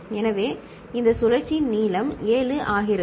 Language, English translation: Tamil, So, this cycle length becomes 7